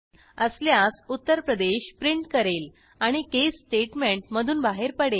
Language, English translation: Marathi, If it is so, it will print out Uttar Pradesh and exit the case statement